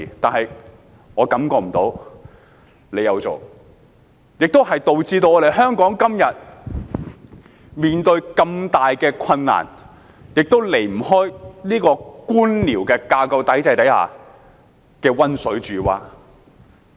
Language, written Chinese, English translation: Cantonese, 可是，我感覺不到政府有這樣做，導致香港今天面對如此大的困難，其原因亦離不開官僚架構體制之下的溫水煮蛙。, However I do not feel that the Government has done so . As a consequence Hong Kong is faced with such a huge challenge today and the boiling - frog effect under the bureaucratic system is definitely a reason for that